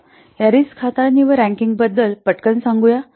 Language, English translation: Marathi, Let's quickly say about this risk handling and ranking